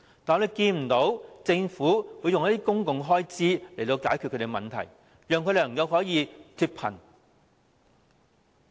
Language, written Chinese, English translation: Cantonese, 我們看不到政府動用公共開支來解決他們的問題，使他們能夠脫貧。, We did not see the Government make use of public expenditure to resolve their problems so that they can get out of poverty